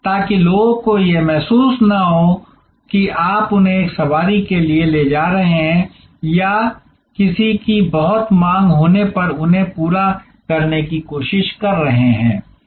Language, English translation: Hindi, So, that people do not feel that you are taking them for a ride or trying to finishing them when somebody’s in great demand